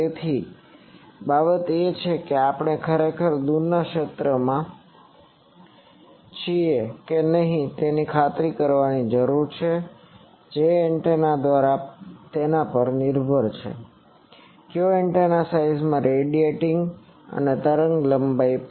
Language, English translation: Gujarati, So, that is the thing that whether we are really in the far field or not that needs to be asserted that depends on what is the antenna, which antenna is radiating in size etc